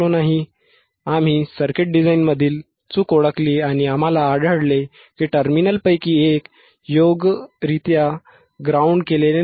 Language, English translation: Marathi, Ah s So we have identified the mistake in the in the circuit design and what we found is that one of the terminal was not properly grounded alright